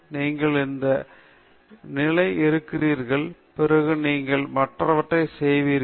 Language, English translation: Tamil, You come up to this stage, then you will do the other things also